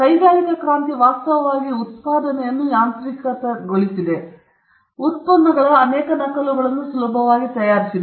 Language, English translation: Kannada, Industrial revolution actually mechanized manufacturing; it made producing many copies of products easier